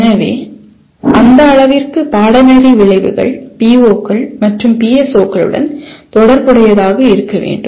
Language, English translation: Tamil, So to that extent course outcomes have to be related to the POs and PSOs